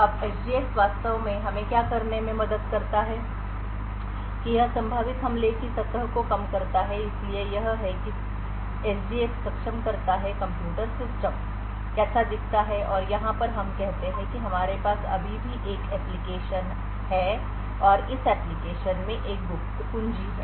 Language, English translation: Hindi, Now what SGX actually helps us do is that it reduces the potential attack surface so this is how SGX enables the computer system would look like and over here let us say we still have an application and this application has a secret key